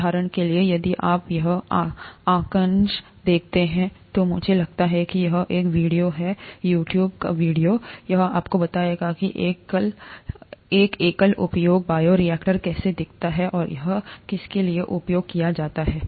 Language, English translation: Hindi, For example, if you see this figure, I think this is a video, YouTube it is a video, it will tell you how a single use bioreactor looks like, and what it is used for and so on